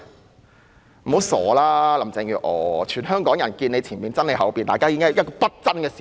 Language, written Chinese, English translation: Cantonese, 不要妄想了，林鄭月娥，全香港人也"見你前面，憎你後面"，這是不爭的事實。, Carrie LAM you should not even dream about it . All Hong Kong people see your front and hate your back as well . This is an undeniable fact